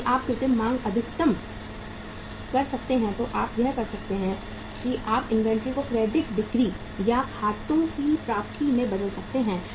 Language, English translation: Hindi, If you can create the artificial demand maximum you can do is you can convert the inventory into the credit sales or accounts receivables